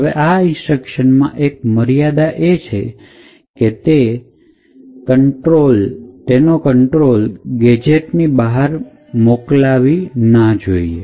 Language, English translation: Gujarati, Now one restriction for these useful instructions is that it should not transfer control outside the gadget